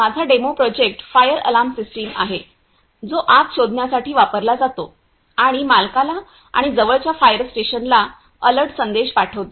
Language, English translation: Marathi, My demo project is fire alarm system, which are used to detect the fire and send an alert the message to owner and the nearest fire station